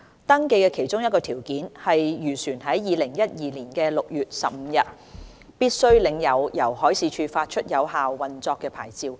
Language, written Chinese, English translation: Cantonese, 登記的其中一個條件，是漁船在2012年6月15日必須領有由海事處發出有效的運作牌照。, One of the registration prerequisites is that the fishing vessel must possess a valid operating licence issued by the Marine Department on 15 June 2012